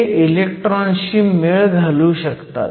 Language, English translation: Marathi, This is for electrons